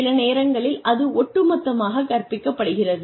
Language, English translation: Tamil, And sometimes, it is taught as a whole